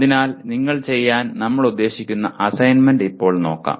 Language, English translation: Malayalam, So now let us look at the kind of assignment that you we would like you to do